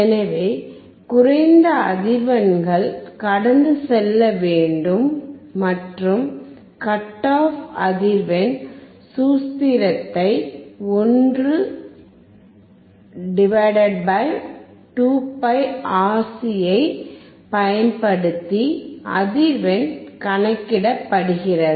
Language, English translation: Tamil, So, low frequencies should pass and the frequency is calculated using the cut off frequency formula 1 /